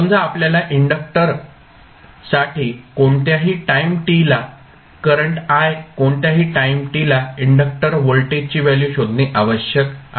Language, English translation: Marathi, Suppose we need to find the value of current I at any time t for the inductor, voltage across inductor at any time t